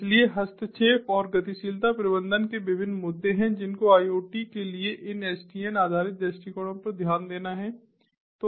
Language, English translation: Hindi, so there are different issues of interference and mobility management which have to be taken care of in these sdn based approaches to ah, sdn based approaches to iot